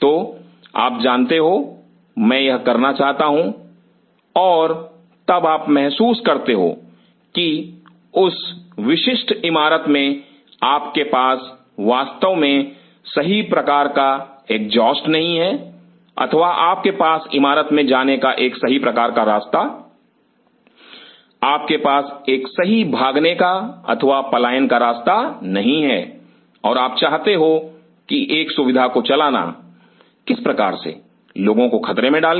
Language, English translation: Hindi, So, you know I want to do this and then you realize that that in that particular building you really do not have the proper kind of exhaust or you do not have a proper way to you know contain the building you do not have a proper run away or escape route and you wanted to open up facility which kind of put others in hazard